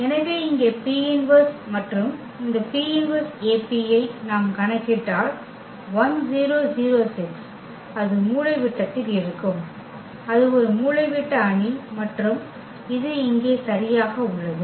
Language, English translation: Tamil, So, here the P inverse and if we compute this P inverse AP, so that is coming to be 1 6 in the diagonal and it is a diagonal matrix and this is exactly the point here